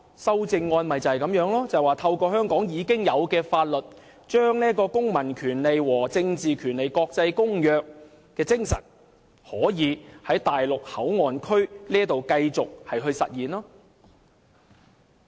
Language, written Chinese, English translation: Cantonese, 修正案的目的，就是透過香港已有的法律，將《公民權利和政治權利國際公約》的精神在內地口岸區繼續實現。, His amendment seeks to allow the spirit of the International Covenant on Civil and Political Rights to continue to display at MPA through the application of the existing Hong Kong law to MPA